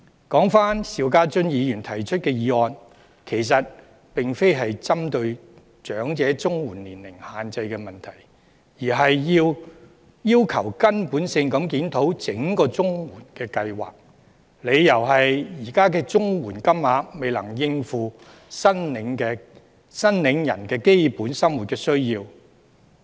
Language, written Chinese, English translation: Cantonese, 說回邵家臻議員提出的議案，其實並非針對長者綜援年齡限制的問題，而是要求根本地檢討整個綜援計劃，理由是現時的綜援金額未能應付申領人的基本生活需要。, The motion proposed by Mr SHIU Ka - chun does not specifically refer to the eligibility age for elderly CSSA but demands a fundamental review of the CSSA Scheme on the ground that the current CSSA rates are unable to cover recipients basic needs